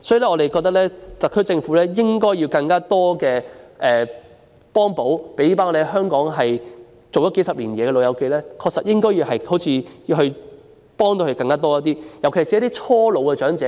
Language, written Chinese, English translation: Cantonese, 我們覺得特區政府應提供更多補貼，為在香港工作數十年的"老友記"提供更多幫助，尤其是一些剛踏入老年的長者。, We believe that the HKSAR Government should provide more subsidies and assistance to old folks who have worked in Hong Kong for decades especially those who have recently reached old age